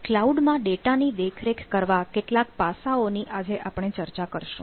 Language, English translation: Gujarati, today we will discuss about some aspects of managing data in cloud